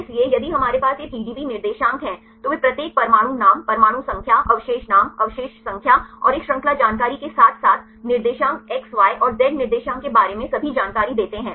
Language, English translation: Hindi, So, if we have these PDB coordinates right they give all the information regarding each atom the atom name, atom number, residue name, residue number and a chain information as well as the coordinates X Y and Z coordinates